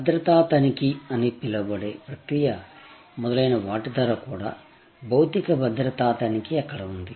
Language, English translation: Telugu, Even the process of going through the so called security check, etc, they were of course, the physical security check was there